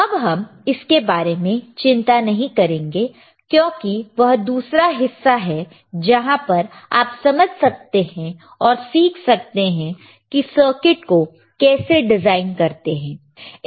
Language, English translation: Hindi, Now, we do not worry about it because that is another part where you can understand and learn how to design the circuit